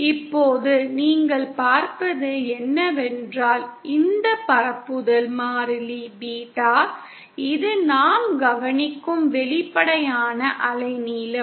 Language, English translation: Tamil, Now what you see is that this propagation constant Beta, which is the, which is kind of the apparent wave length that we observe